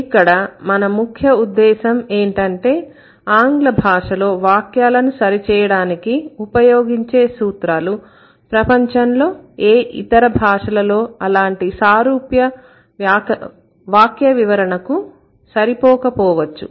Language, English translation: Telugu, So, the concern here is that the rules which which can explain an English sentence correctly may not be sufficient to explain similar constructions in other languages in the world